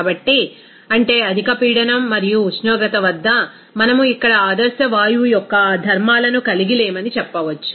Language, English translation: Telugu, So, that means at high pressure and temperature, we can say that we are not actually having that property of ideal gas here